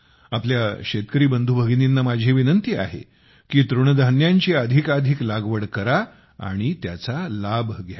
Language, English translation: Marathi, It is my request to my farmer brothers and sisters to adopt Millets, that is, coarse grains, more and more and benefit from it